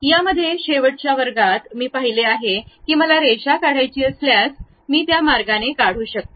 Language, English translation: Marathi, In that, in the last classes, we have seen if I want to draw a line, I can draw it in that way